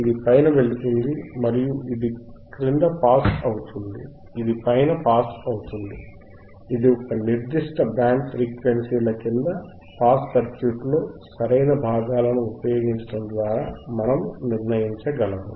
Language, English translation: Telugu, It will pass above and pass below right pass above this one is pass above this is pass below a certain band of frequencies which we can decide which we can decide by using a correct components in the circuit